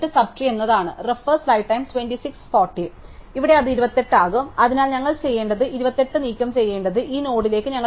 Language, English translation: Malayalam, So, here it will be 28, so what we will do is, we will copy the 28 to this node which is to be deleted